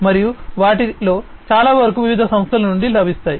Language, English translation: Telugu, And many of them are in sourced from different companies and so on